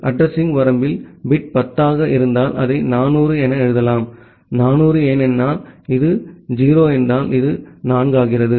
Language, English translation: Tamil, If the bit is 10 in the address range, we can write it as 400; 400 because, this is 0 then, this becomes 4